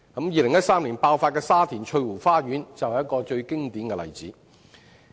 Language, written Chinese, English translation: Cantonese, 2013年的沙田翠湖花園圍標事件，便是一個最經典的例子。, The bid - rigging incident of Garden Vista in Sha Tin in 2013 is a classic example